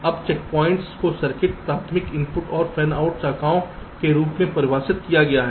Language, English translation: Hindi, now checkpoints is defined as for a circuit, the primary inputs and the fanout branches